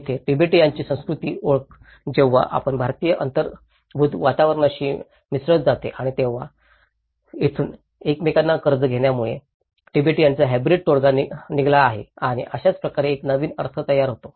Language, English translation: Marathi, Here, the cultural identity of Tibetans when it gets mixed with the built environment in India and then and that is where this has produced a hybrid Tibetan settlement because they borrow from each other and that is how a new meanings are produced